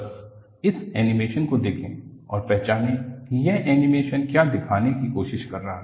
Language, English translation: Hindi, Just, watch this animation and identify what this animation is trying to show